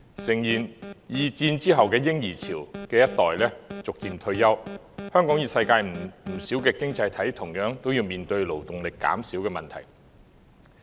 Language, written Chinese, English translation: Cantonese, 誠然，二戰後的嬰兒潮一代逐漸退休，香港與世界不少經濟體同樣面對勞動力減少的問題。, Indeed with the successive retirement of baby boomers Hong Kong and quite a number of economies around the world are facing the problem of a declining labour force